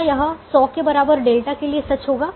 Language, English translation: Hindi, will that be true for delta equal to hundred